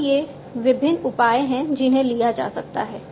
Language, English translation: Hindi, So, these are the different measures that could be taken